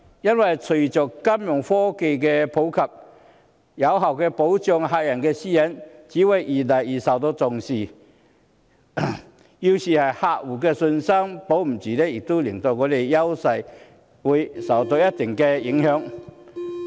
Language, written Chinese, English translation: Cantonese, 因為隨着金融科技日漸普及，有效保障客戶的私隱越來越受重視，要是客戶失去信心，便會令香港的優勢受到一定的影響。, With the growing use of financial technologies effective protection of customers privacy has attracted increasing attention . If customers lose their confidence Hong Kongs advantages will be adversely affected